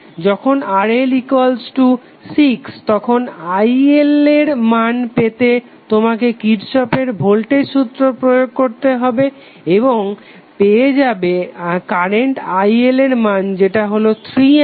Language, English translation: Bengali, When RL is equal to 6 ohm you will simply get IL is nothing but you will simply apply Kirchhoff’s voltage law and you will get the value of current IL as 3A